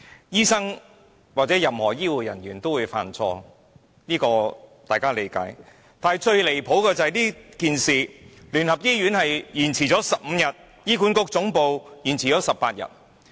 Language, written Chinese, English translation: Cantonese, 醫生或任何醫護人員也會犯錯，這是大家理解的，但最離譜的是，這件事聯合醫院延遲通知15天，而醫管局總部則延遲18天。, Doctors or any health care worker will make mistake that is something we all understand . But the most outrageous thing is that UCH delayed the notification for 15 days and HA Head Office delayed 18 days